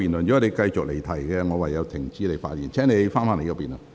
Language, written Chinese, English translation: Cantonese, 若你繼續離題，我會停止你的發言。, If you continue to digress from the subject I will order you to stop speaking